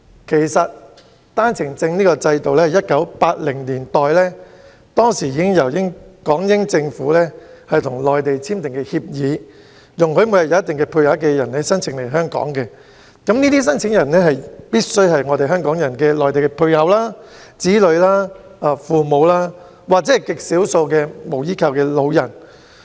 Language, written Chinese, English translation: Cantonese, 其實，單程證制度源於1980年代港英政府跟內地簽訂的協議，容許每天有一定配額人士申請來港，這些申請人必須是香港人的內地配偶、子女、父母，在極少數情況下也可以是無依靠的老人。, Actually the OWP scheme originates from an agreement between the British Hong Kong Government and the Mainland in the 1980s under which a certain daily quota of persons is allowed to apply for settlement in Hong Kong . These Mainland applicants must be spouses children or parents of Hong Kong persons . In some rare cases they can be unsupported elderly people